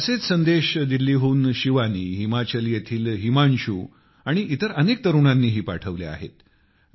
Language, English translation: Marathi, Similar messages have been sent by Shivani from Delhi, Himanshu from Himachal and many other youths